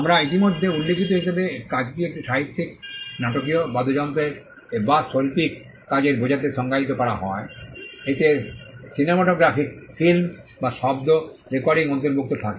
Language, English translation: Bengali, Work as we already mentioned is defined to mean a literary, dramatic, musical or artistic work it includes a cinematograph film or a sound recording